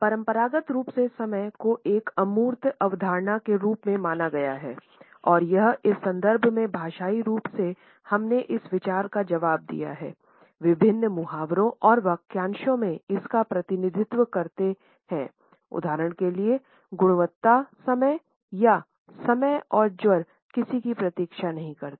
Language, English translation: Hindi, Conventionally time has been treated as an abstract concept and it is in this context that linguistically we have responded to this idea, representing it in different idioms and phrases for example, quality time or time and tide wait for none